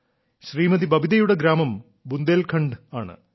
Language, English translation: Malayalam, Babita ji's village is in Bundelkhand